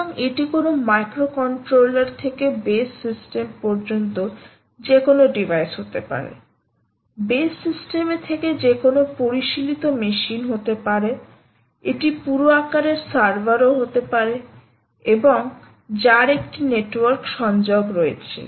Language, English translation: Bengali, so just quickly run through, it can be any device from a microcontroller to a come at based system, base system, to any sophisticated machine it could also be a full size server and so on which has a network connection